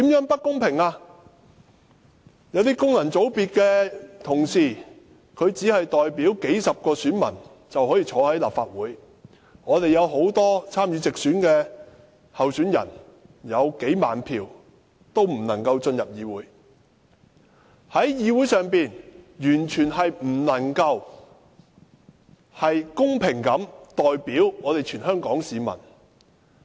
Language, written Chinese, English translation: Cantonese, 不公平之處，在於有些功能界別的同事只是代表數十名選民，便可以坐在立法會席上，但有很多參與直選的候選人，即使取得數萬票，也不能進入議會，議會完全不能夠公平地代表全香港市民。, It is unfair because some functional constituency Members who only represent a few dozen constituents can secure a seat in this Council but those who stand for direct election may not be able to secure a seat here despite having several tens of thousands votes . This Council completely fails to fairly represent all the people in Hong Kong